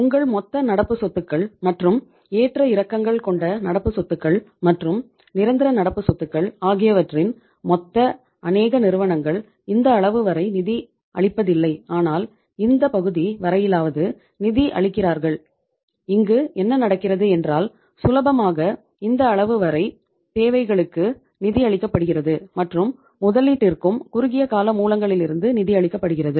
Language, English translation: Tamil, Your total current assets and your total means fluctuating current assets and total permanent current assets many firms are funding their total not up to this level but at least up to this part they are funding from the in this case means if you talk about then what is happening up to this case you are easily up to this level you are funding your requirements, investment requirements from the short term sources